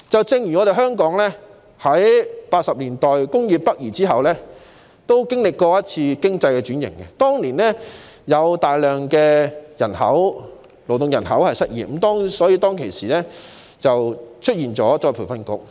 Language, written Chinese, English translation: Cantonese, 正如香港亦在1980年代工業北移後經歷經濟轉型，當年有大量勞動人口失業，因此政府成立僱員再培訓局。, One comparable example is that after the relocation of industries to the north in the 1980s Hong Kong experienced economic restructuring and many workers became unemployed so the Government set up the Employees Retraining Board